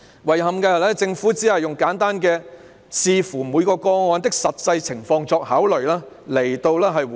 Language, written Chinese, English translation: Cantonese, 遺憾的是，政府只簡單地以"視乎每宗個案的實際情況作考慮"來回應。, Regrettably the Government simply responded that it would be assessed based on the actual circumstances of each case